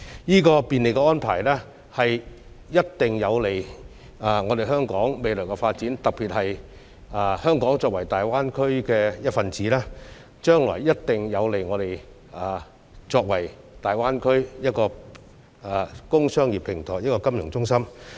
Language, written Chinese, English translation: Cantonese, 這便利的安排一定有利於香港未來的發展，特別是香港作為大灣區的一分子，這安排將來一定有利於香港成為大灣區工商業平台及金融中心。, In particular being part of the Greater Bay Area Hong Kong will definitely find this arrangement beneficial to its development into the industrial - cum - commercial platform and financial centre in the Greater Bay Area